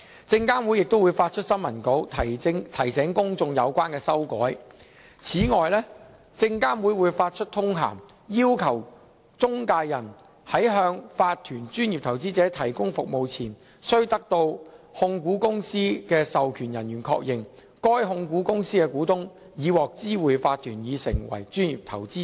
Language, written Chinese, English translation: Cantonese, 證監會亦會發出新聞稿，提醒公眾有關修改。此外，證監會會發出通函，要求中介人在向法團專業投資者提供服務前，須得到控股公司的授權人員確認，該控股公司的股東已獲知會法團已成為專業投資者。, SFC will additionally issue a circular which requires intermediaries to obtain confirmation from the authorized persons of the holding company of a corporate professional investor that the shareholders of that holding company have been informed of its corporate professional investor status prior to providing services to the holding company